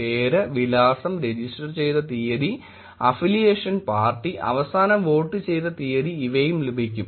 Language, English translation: Malayalam, Name, address, date registered, party of affiliation, date last voted